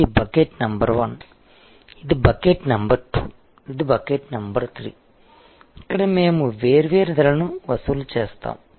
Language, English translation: Telugu, So, this is bucket number 1, this is bucket number 2, this is bucket number 3, where we will be charging different prices